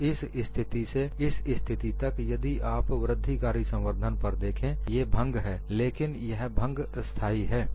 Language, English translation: Hindi, So, from this position to this position, if you look at the incremental crack growth, it is fracture, but the fracture is stable